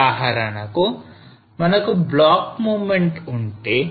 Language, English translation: Telugu, For example, if we have a block movement